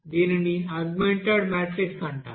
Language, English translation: Telugu, It is called augmented matrix